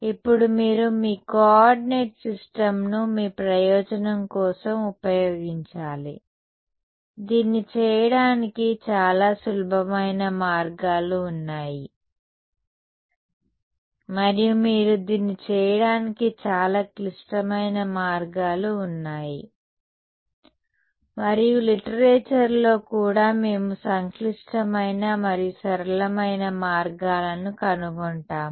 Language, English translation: Telugu, Now you should you should use your coordinate system to your advantage, there are sort of simple ways of doing this and there are some very complicated ways of doing this and even in the literature we will find complicated and simple ways